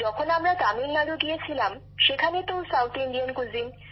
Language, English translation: Bengali, South Indian cuisine is prevalent in Tamilnadu